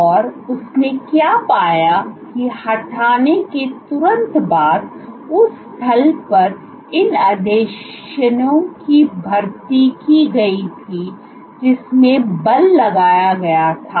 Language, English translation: Hindi, And what he found was immediately after removing there was recruitment of these adhesions at the site in which force was exerted